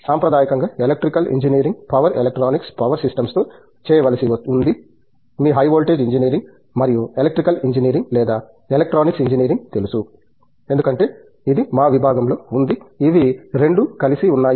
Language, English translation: Telugu, Traditionally Electrical Engineering was to do with power electronics, power systems, you know high voltage engineering and Electrical Engineering or Electronics Engineering as it is called it was in our department it is all both together